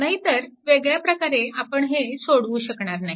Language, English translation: Marathi, Otherwise you cannot solve, right